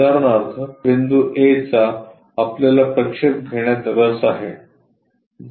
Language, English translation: Marathi, For example, point A we are interested in having projection